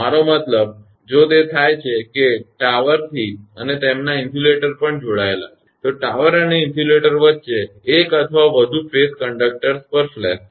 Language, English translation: Gujarati, I mean if it happens that from the tower and their line insulators also connected, there will be flash over between the tower and the insulator to one or more of the phase conductors